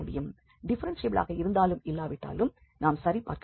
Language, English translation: Tamil, Though it may be differentiable or may not be differentiable that we have to check